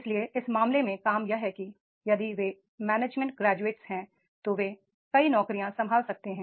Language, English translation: Hindi, So, therefore in that case that the job is the, if they are management graduates, they can handle number of jobs